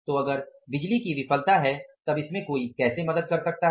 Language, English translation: Hindi, So, if there is a power failure so how one can help it out